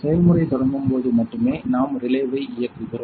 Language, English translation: Tamil, So, when the process starts only we will switch on the relay